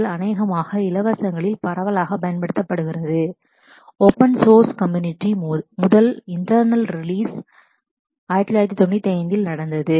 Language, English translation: Tamil, MySQL probably most widely used amongst the free community among the open source community also where the first internal release happened in 1995